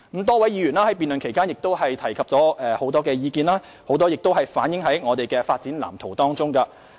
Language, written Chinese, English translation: Cantonese, 多位議員在辯論期間提出很多意見，當中不少已反映於我們的《發展藍圖》中。, Many views put forward by Honourable Members during the debate are already reflected in the Development Blueprint